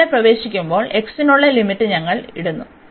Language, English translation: Malayalam, So, while entering here, so we are putting the limit for x